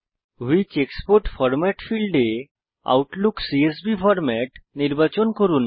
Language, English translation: Bengali, In the field Which export format., select Outlook CSV format